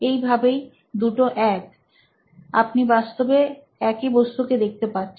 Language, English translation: Bengali, So, they are one and the same, you are looking at the same thing